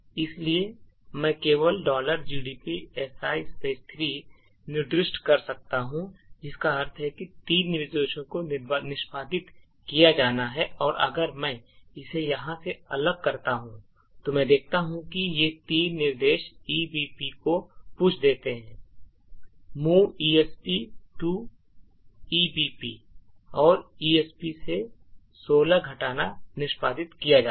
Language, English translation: Hindi, So, I can just specify si3 which means that 3 instructions have to be executed, okay and if I disassemble it over here, I see that these 3 instructions push ebp move esp to ebp and subtracts 16 from esp has been executed